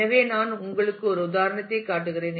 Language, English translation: Tamil, So, let me just show you an example